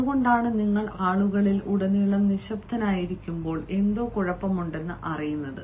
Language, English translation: Malayalam, that is why, when you are silent throughout, people get to know that there is something wrong